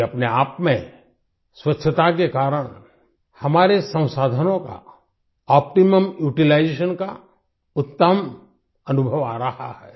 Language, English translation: Hindi, Due to this cleanliness in itself, we are getting the best experience of optimum utilizations of our resources